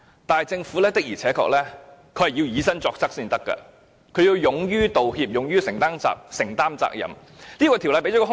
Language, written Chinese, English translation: Cantonese, 但政府的確要以身作則，要勇於道歉，勇於承擔責任。, But the Government must set a good example by apologizing and assuming responsibilities readily